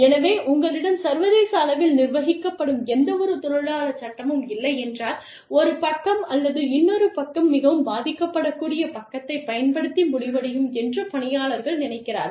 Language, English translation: Tamil, So, if you do not have any international, internationally governed labor law, then people feel that, one side or another, could end up taking advantage, of the more vulnerable side